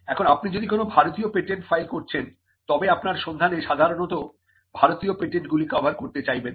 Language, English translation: Bengali, Now, if you are filing an Indian patent, then you would normally want the search to cover the Indian patents